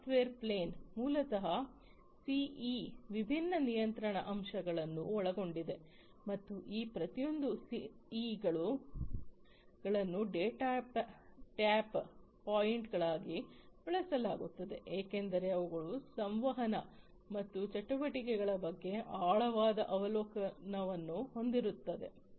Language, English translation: Kannada, The software plane basically consists of different control elements in the CEs, and each of these CEs is used as the data tap points, since they have deep observation into the communication and activities